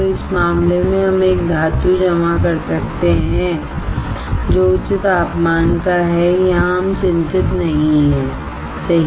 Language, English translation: Hindi, So, in this case we can we can deposit a metal which is of higher temperature here we are not worried right